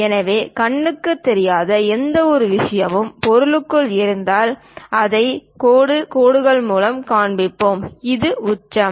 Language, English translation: Tamil, So, any invisible kind of things and the object is present, we show it by dashed lines, and this is the apex